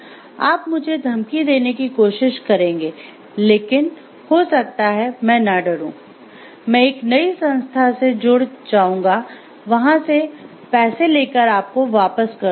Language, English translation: Hindi, You may try to threaten me, I may not get threatened, I will join a new organization, take money from there and pay you back